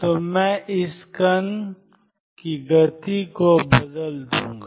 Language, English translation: Hindi, So, I will change the momentum of this particle